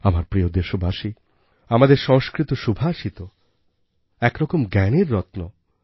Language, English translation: Bengali, My dear countrymen, our Sanskrit Subhashit, epigrammatic verses are, in a way, gems of wisdom